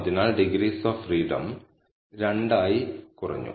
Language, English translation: Malayalam, So, the degrees of freedom reduced by 2